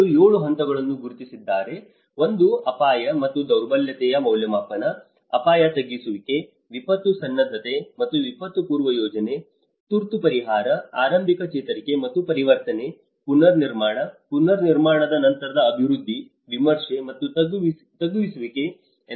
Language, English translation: Kannada, They have identified the 7 phases; one is the risk and vulnerability assessment, risk reduction and mitigation, disaster preparedness and pre disaster planning, emergency relief, early recovery and transition, reconstruction, post reconstruction development, review and ongoing reduction